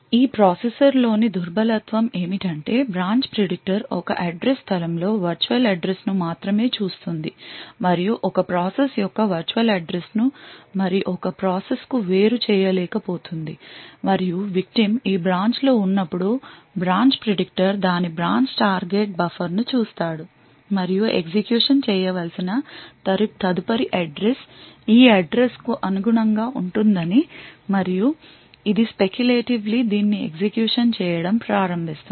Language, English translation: Telugu, The vulnerability in this processor is that the branch predictor only looks at the virtual address in an address space and is not able to separate the virtual address of one process from and other process does when this branch in the victim also executes the branch predictor would look up its branch target buffer and it would find that the next address to be executed corresponds to this address and it would start to speculatively execute this